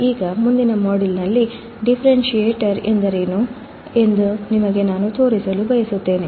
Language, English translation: Kannada, Now, in the next module, what I want to show you what is a differentiator